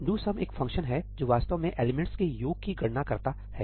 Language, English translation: Hindi, ‘do sum’ is a function which actually computes the sum of the elements